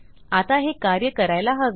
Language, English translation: Marathi, Now this should work